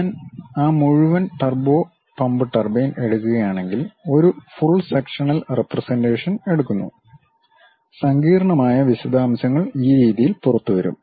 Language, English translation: Malayalam, If I am taking that entire turbo pump turbine, taking a full sectional representation; the complicated details will come out in this way